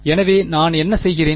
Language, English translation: Tamil, So, what I am doing